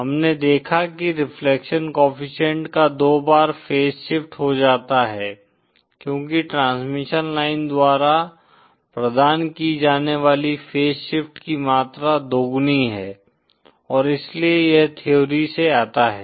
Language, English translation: Hindi, We saw that reflection coefficient is face shifted twice, as twice the amount of face shift provided by a transmission line & so that comes from theory